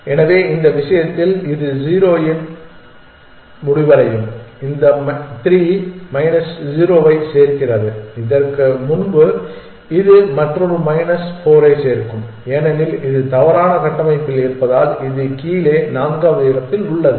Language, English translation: Tamil, So, this will end of 0 in this case these 3 add up to minus 0 as before this will add another minus 4 to that because it is in a wrong structure which is fourth in below that